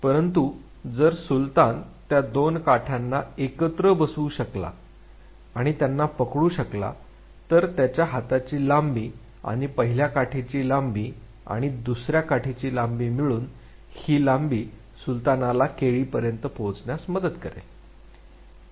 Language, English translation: Marathi, But, if Sultan could fit those two sticks together and hold it, then the length of the arm plus the length of the first stick plus the length of the second stick, this length would be help Sultan reach the banana